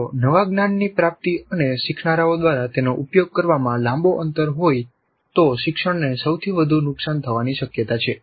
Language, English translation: Gujarati, If there is a long gap between the acquisition of the new knowledge and the application of that by the learners the learning is most likely to suffer